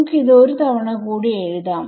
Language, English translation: Malayalam, Actually let me let me write this once again